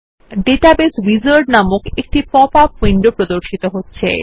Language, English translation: Bengali, A pop up window titled Database Wizard opens